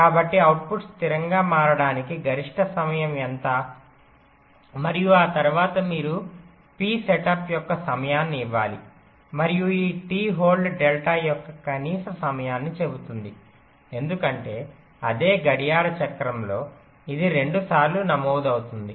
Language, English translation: Telugu, and after that you have to give a time of t setup and t hold says that not only that, the minimum time of this delta, because within that same clock cycle this register two times